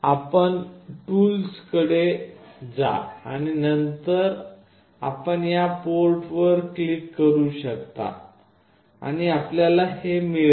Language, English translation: Marathi, You go to tools and then you can click on this port and you will get this